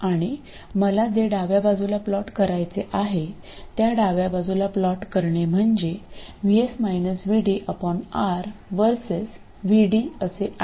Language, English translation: Marathi, And plotting the left side, that is what I want to plot is VS minus VD by R versus VD